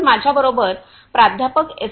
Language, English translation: Marathi, So, I have with me Professor S